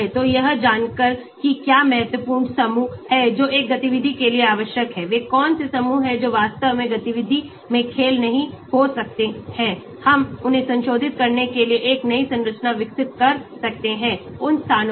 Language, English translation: Hindi, So, by knowing what are the important groups that are necessary for a activity what are the groups that might not really have a play in activity, we can develop a new structures by modifying those places